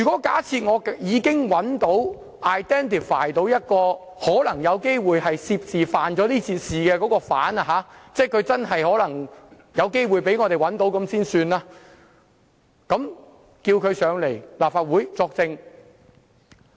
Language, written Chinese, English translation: Cantonese, 假設我已找到或 identify 一個可能有機會涉事或犯事的疑犯——先假定他真的有機會被我們找到——然後請他來立法會作證。, Assuming that we have identified a person who allegedly is involved in some blunder or crime let us assume that we manage to identify such a person and we summon him to the Legislative Council to testify